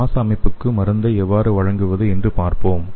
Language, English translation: Tamil, So let us see how we can target the drug to the respiratory system